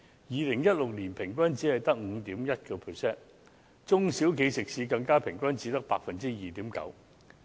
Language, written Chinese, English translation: Cantonese, 2016年平均只有 5.1%， 中小企食肆更平均只有 2.9%。, In 2016 it was only 5.1 % on average and even a mere 2.9 % on average for catering establishments among SMEs